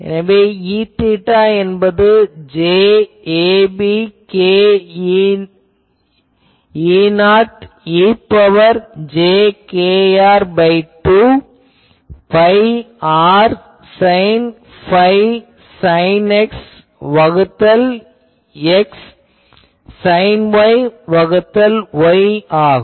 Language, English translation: Tamil, So, now, it will be j a b k E not e to the power minus jkr by 2 pi r sin phi sin X by X sin Y by Y